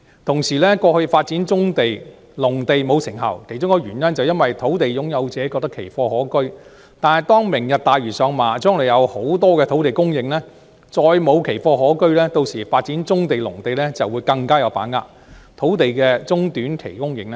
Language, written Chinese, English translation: Cantonese, 同時，過去發展棕地及農地沒有成效，其中一個原因是土地擁有者覺得奇貨可居，但當"明日大嶼"上馬，將來會有大量土地供應，再無奇貨可居，屆時發展棕地及農地將會更有把握，土地的短中期供應便會更有保證。, Moreover one reason behind the ineffectual development of brownfield sites and agricultural land in the past was that sites owners saw value in hoarding . Yet with the implementation of the Lantua Tomorrow Vision there will be an abundant supply of land in the future making hoarding pointless . This will in turn improve the prospect of developing brownfield sites and agricultural land and provide greater assurance of land supply in the short and medium terms